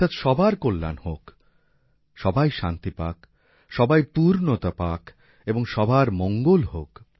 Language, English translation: Bengali, That is, there should be welfare of all, peace to all, fulfillment to all and well being for all